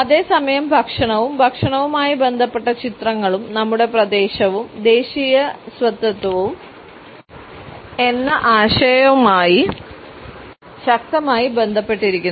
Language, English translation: Malayalam, At the same time we find that food and food related images are strongly related to our concept of territory and national identity